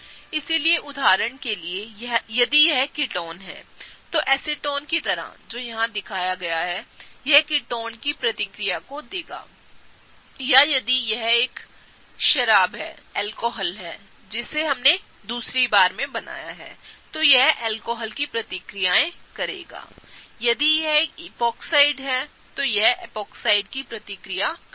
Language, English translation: Hindi, So, for example, if it’s ketone, like acetone that is shown there it will do the reactions of ketones or if it is an alcohol that we drew in the second time, it will do the reactions of alcohols; if it is an epoxide, it will do the reactions of epoxide